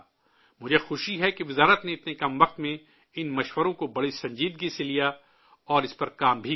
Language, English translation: Urdu, I am happy that in such a short time span the Ministry took up the suggestions very seriously and has also worked on it